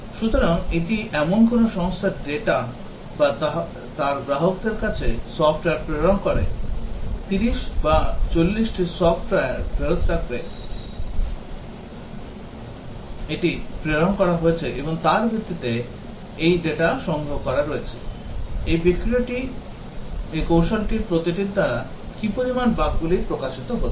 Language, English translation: Bengali, So, this is the data for a company which has been shipping software to its customers based on may be 30 or 40 software that has shipped it has collected the data, how much bugs are getting exposed by each of this techniques